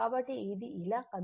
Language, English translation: Telugu, So, it is moving like this right